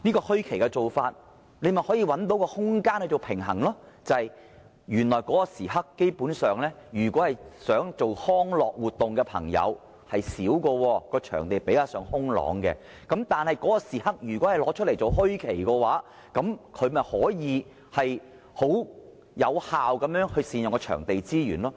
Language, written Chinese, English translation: Cantonese, "墟期"這做法便可以找到空間來取得平衡，因為在這段時間內，進行康樂活動的朋友基本上會較少，場地使用率也較低，如果把這段時間劃為"墟期"，便可以有效善用場地資源。, Under this approach a balance can be struck because basically fewer people will engage in recreational activities during this period and the venue usage rate is low . If this time slot is designated as the bazaar period we will be able to effectively utilize venue resources